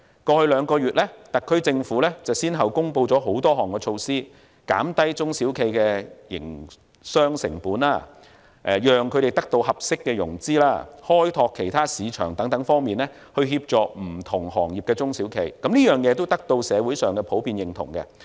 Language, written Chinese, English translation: Cantonese, 過去兩個月，特區政府已先後公布多項措施，在減低中小企的營商成本、讓他們得到合適融資、開拓其他市場等方面協助不同行業的中小企，此舉得到社會上普遍認同。, In the past two months the SAR Government has announced a succession of measures to assist SMEs of different industries in reducing their operating costs securing appropriate financing exploring other markets and so on . This move has been widely appreciated in society